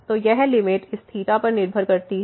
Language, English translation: Hindi, So, this limit depends on theta